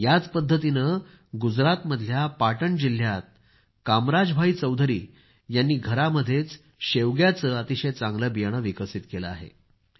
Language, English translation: Marathi, In the same way Kamraj Bhai Choudhary from Patan district in Gujarat has developed good seeds of drum stick at home itself